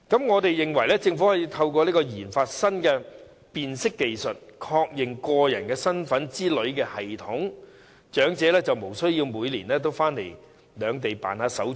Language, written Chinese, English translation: Cantonese, 我們認為，政府可以透過研發新的辨識技術，例如確認個人身份等的系統，使長者無須每年往返兩地辦理手續。, We think that the Government may develop new identity detection technologies such as a personal identity confirmation system so as to spare elderly people the need to travel between both places every year for conducting the formalities